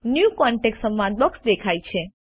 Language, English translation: Gujarati, The New Contact dialog box appears